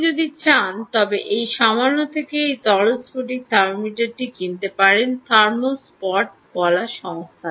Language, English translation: Bengali, if you wish, you can buy this liquid crystal thermometer from this little ah ah company which is called thermospot